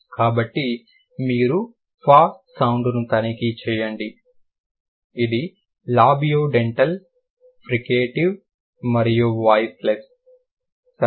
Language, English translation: Telugu, So, you check f f sound, it's labiodental, fricative and voiceless